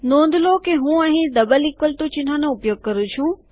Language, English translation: Gujarati, Notice I am using a double equal to sign here